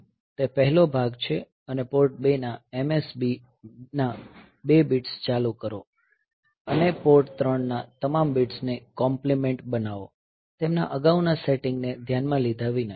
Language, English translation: Gujarati, So, that is the first part and turn on the most significant 2 bits of Port 2 complement all bits of Port 3, irrespective of their previous setting